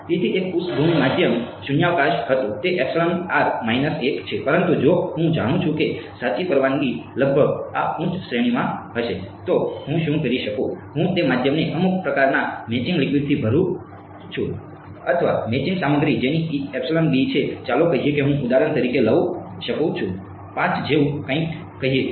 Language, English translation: Gujarati, So, a background medium was vacuum it is epsilon r minus 1, but if I know that the true permittivity is roughly going to be in this high range then what I can do is, I can fill the medium with some kind of what is called matching liquid or matching material whose epsilon b is let us say I can take for example, something like 5 let us say